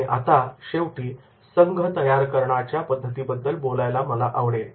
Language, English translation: Marathi, Finally, I would like to talk about the group building methods